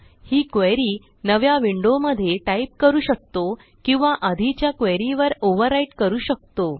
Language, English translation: Marathi, We can type this query in a new window, or we can overwrite it on the previous query